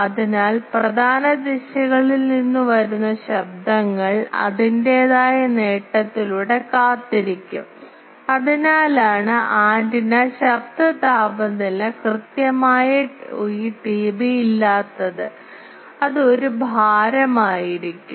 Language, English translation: Malayalam, So, it will wait the noises coming from major directions by its own gain function so that is why antenna noise temperature is not exactly this T B it will be a weighting of that